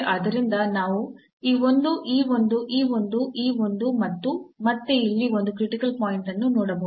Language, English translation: Kannada, So, we can see like this one this one this one this one and again here there is a critical point